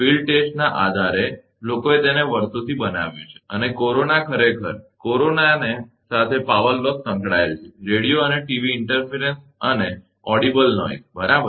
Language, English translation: Gujarati, Based on the field test people have, made it over the years and corona actually, has associated power loss due to corona is right, the radio and TV interference and audible noise, right